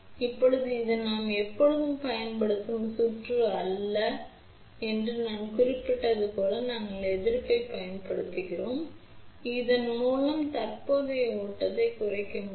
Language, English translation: Tamil, Now, as I mentioned that this is not the circuit which we always use we do use resistance so, that we can limit the current flow through that